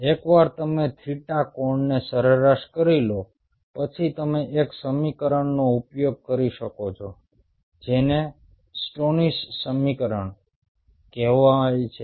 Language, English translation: Gujarati, once you average out the theta angle, you can use an equation which is called stoneys equation